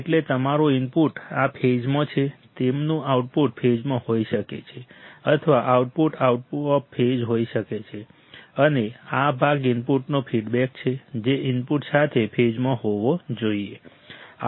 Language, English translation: Gujarati, In phase, in phase means your input is this right their output can be in phase or out output can be out of phase, and this part is feedback to the input that should be in phase with the input, it should be in phase